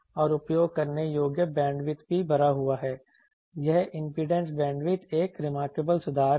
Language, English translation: Hindi, And also the usable bandwidth is full this impedance bandwidth so, that is a remarkable improvement